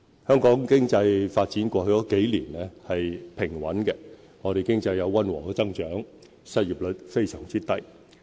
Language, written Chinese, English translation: Cantonese, 香港經濟發展過去數年是平穩的，我們經濟有溫和增長，失業率非常低。, The economy of Hong Kong has made steady development in the past few years . There has been moderate economic growth and the unemployment rate has been very low